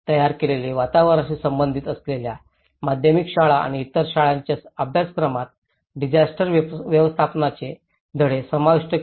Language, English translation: Marathi, Incorporating the disaster management lessons in the curriculum of secondary schools and other schools that deal with the built environment